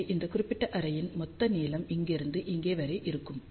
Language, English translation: Tamil, So, total length of this particular array will be from here to here